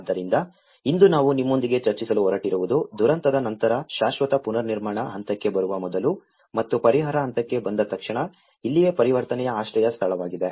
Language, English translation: Kannada, So, today what I am going to discuss with you is it is about the immediately after a disaster before coming into the permanent reconstruction stage and just immediately after relief stage, this is where the transition shelter